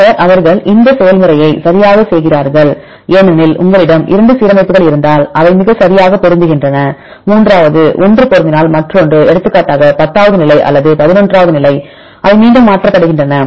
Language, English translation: Tamil, Then they repeats the process right because for example, if you have 2 alignments right they are very perfectly matching and the third one is matching if the another for example tenth position or eleventh position they iteratively changed